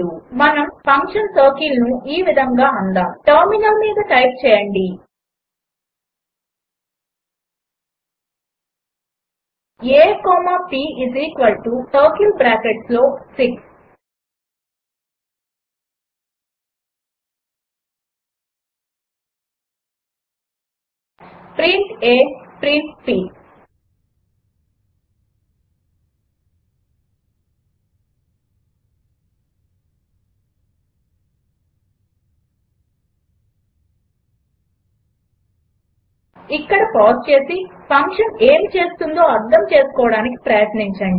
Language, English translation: Telugu, Let us call the function circle as, Typing it on terminal a comma p = circle within bracket 6 print a print p Now we have done enough coding, let us do some code reading exercise, Pause the video here and try to figure out what the function what does